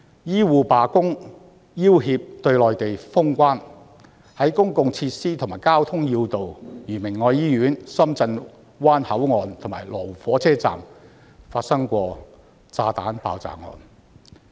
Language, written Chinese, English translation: Cantonese, 醫護罷工，要脅對內地封關；公共設施和交通要道如明愛醫院、深圳灣口岸和羅湖港鐵站均曾發生炸彈爆炸案。, Health care workers went on strike to threaten the Government to close the Mainland boundary points . Bomb explosions had taken place in public facilities such as Caritas Hospital and transport links such as Shenzhen Bay Port and Lo Wu MTR Station